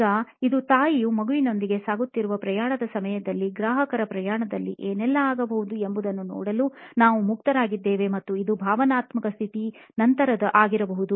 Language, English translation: Kannada, Now this is during the journey that the mother is going through with a child, so this we are open to seeing what all can probably go on your customer’s journey and this is after what is the emotional state